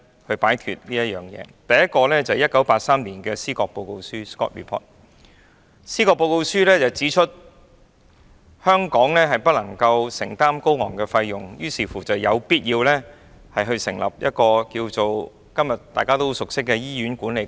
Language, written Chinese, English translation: Cantonese, 第一個實驗是1983年的《司葛報告書》，該報告書指出香港不能承擔高昂的醫療費用，於是有必要成立一個今天大家都很熟悉的醫院管理局。, The first experiment was the Scott Report in 1983 . This report advised that since the high health care expenditure would become unaffordable to Hong Kong it was necessary to establish the Hospital Authority an organization with which we are familiar today